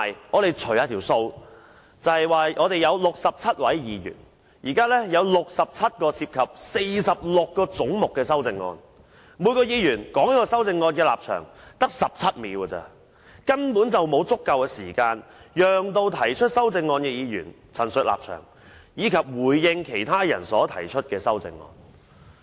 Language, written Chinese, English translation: Cantonese, 我們曾稍作計算，立法會共有67位議員，今次要審議67項涉及46個總目的修正案，每一位議員只有17秒的時間就每項修正案表達其立場，根本不足以讓提出修正案的議員作出陳述，以及回應其他人所提出的修正案。, According to our rough calculation there are a total of 67 Members in the Legislative Council and we have to consider 67 amendments proposed in respect of 46 heads this time meaning that each Member is only given 17 seconds to state hisher position on every proposed amendment . This is simply not enough for Members proposing amendments to state their views and speak in response to amendments proposed by other Members